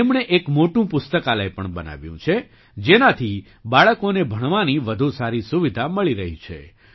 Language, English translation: Gujarati, He has also built a big library, through which children are getting better facilities for education